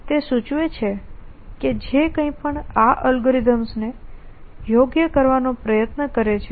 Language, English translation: Gujarati, It terms out that whatever however tries to right this algorithms